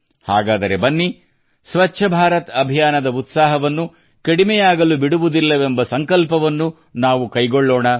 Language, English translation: Kannada, Come, let us take a pledge that we will not let the enthusiasm of Swachh Bharat Abhiyan diminish